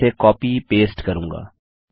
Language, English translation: Hindi, Ill just copy paste this along